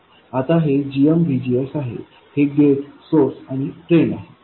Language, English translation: Marathi, Now this is GMVGS, gate, source and drain